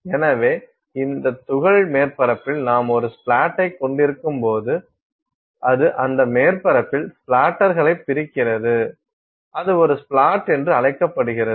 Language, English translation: Tamil, So, when this particle impacts that surface you essentially have a splat, it just splats splatters on that surface it is called a splat